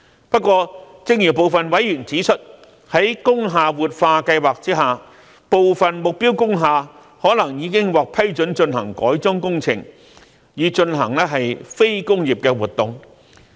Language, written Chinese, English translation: Cantonese, 不過，正如部分委員指出，在工廈活化計劃下，部分目標工廈可能已經獲批准進行改裝工程，以進行非工業的活動。, However as pointed out by some members consequent upon revitalization of industrial buildings some target industrial buildings may have been approved to be converted for carrying out non - industrial activities